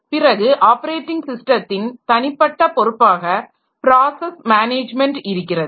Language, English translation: Tamil, Then individual responsibilities of an operating system, we have got process management